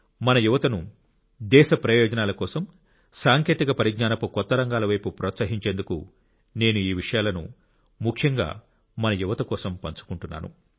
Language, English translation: Telugu, I am sharing these things especially with our youth so that in the interest of the nation they are encouraged towards technology in newer fields